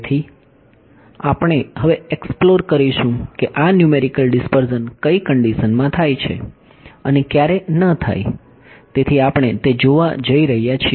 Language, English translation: Gujarati, So, we will explore now under what conditions this numerical dispersion happens and when does it not happen ok; so, that is what we going to look at ok